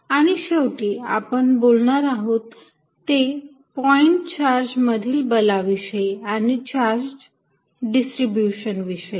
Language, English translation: Marathi, And finally, in this lecture we are going to talk about the force between a point charge and a charge distribution